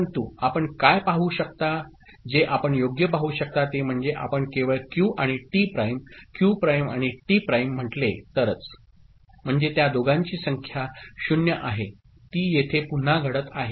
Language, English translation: Marathi, But what you can see, what you can see right that if you take only say Q and T prime Q prime and T prime – that means, both of them are 0, that is occurring again over here, right